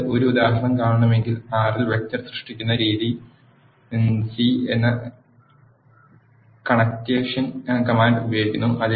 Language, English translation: Malayalam, If you want to see an example the way you creating vector in R is using the concatenation command that is C